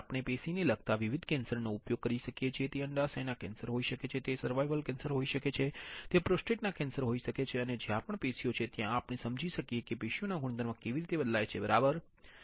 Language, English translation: Gujarati, We can use different tissue related cancer it can be ovarian cancer, it can be cervical cancer, it can be prostate cancer and wherever tissues are there we can understand how the tissue property changes, right